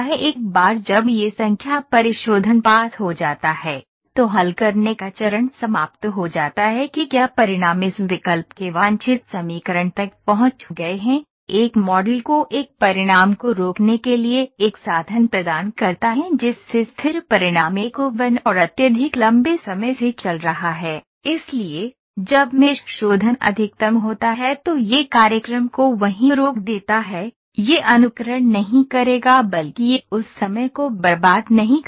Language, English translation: Hindi, Once this number refinement passes is reached, the solving phase terminates whether results have reached the desired equation of this option provides a means to prevent a model with diverging on stable results from running of a oven and excessively long time So, when mesh refinement is maximum it stops the program there, it will not rather simulation it would not waste that time there